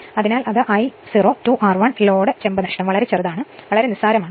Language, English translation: Malayalam, So, that is I 0 square R 1 no load copper loss is very very small, negligible right